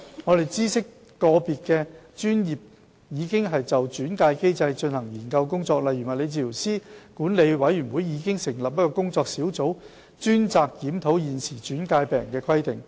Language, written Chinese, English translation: Cantonese, 我們知悉個別專業已就轉介機制進行研究工作，例如物理治療師管理委員會已成立工作小組，專責檢討現時轉介病人的規定。, We note that some health care professions have examined their respective referral mechanisms . A case in point is the dedicated working group set up by the Physiotherapists Board to review the current requirements on patient referrals